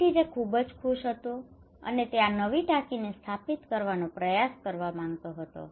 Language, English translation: Gujarati, So he was very happy okay, and he wanted to try this new tank to install